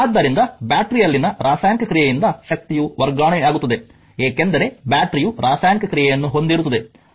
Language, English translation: Kannada, Therefore, the energy is transfer by the chemical action in the battery because battery has a chemical action